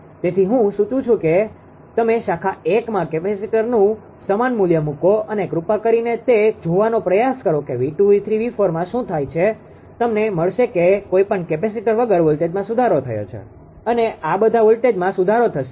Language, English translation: Gujarati, So, I suggest that you put the same manner of the capacitor in branch one and please try to see that you are what you call that what is happening to the voltage V 2 V 3 V 4 you will find without any series capacitor will find here here here voltage will improved right all voltages will improve